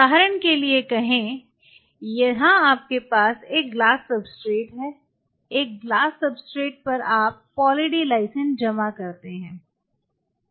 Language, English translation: Hindi, Say for example, here you have a substrate a glass substrate, on a glass substrate you deposit Poly D Lysine; deposit Poly D Lysine